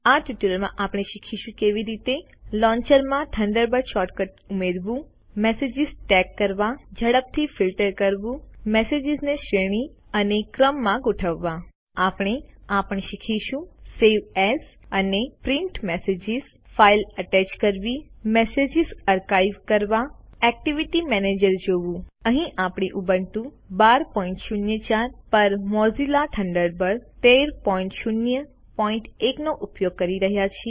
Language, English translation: Gujarati, Welcome to the Spoken Tutorial on How to Use Thunderbird In this tutorial we will learn how to: Add the Thunderbird short cut to the launcher Tag Messages Quick Filter Sort and Thread Messages We will also learn to: Save As and Print Messages Attach a File Archive Messages View the Activity Manager Here we are using Mozilla Thunderbird 13.0.1 on Ubuntu 12.04 As we access Thunderbird quite often, lets create a short cut icon for it